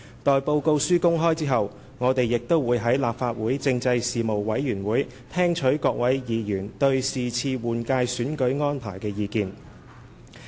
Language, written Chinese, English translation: Cantonese, 待報告書公開後，我們亦會在立法會政制事務委員會聽取各位議員對這次換屆選舉安排的意見。, After the report is made public we will listen to the views of Members on the arrangements of this general election at the Legislative Council Panel on Constitutional Affairs